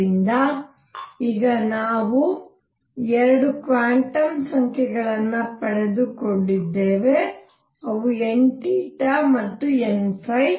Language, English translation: Kannada, So, this is now we have got 2 quantum numbers, n theta and n phi